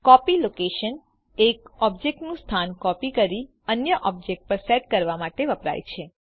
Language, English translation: Gujarati, Copy location constraint is used to copy one objects location and set it to the other object